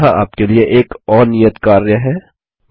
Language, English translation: Hindi, Here is another assignment for you: 1